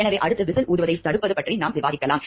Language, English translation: Tamil, So, next what we can discuss is the preventing of whistle blowing